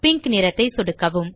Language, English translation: Tamil, Left click the pink color